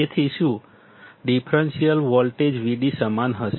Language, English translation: Gujarati, So, the differential voltage Vd will be equal to what